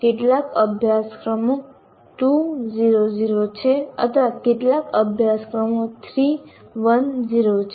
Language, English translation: Gujarati, Obviously some course are 2 is 0 is to 0 or some courses are 3 is to 1 is to 0